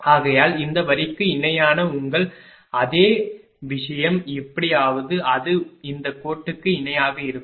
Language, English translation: Tamil, Therefore, this is your same thing parallel to this line somehow it will be parallel to this line